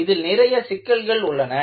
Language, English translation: Tamil, In this, you have several issues